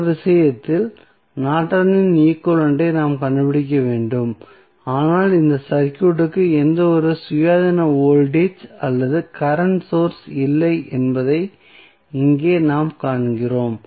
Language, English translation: Tamil, In this case, we need to find out the Norton's equivalent, but the important thing which we see here that this circuit does not have any independent voltage or current source